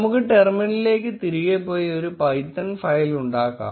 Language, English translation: Malayalam, Let us go back to the terminal and create a python file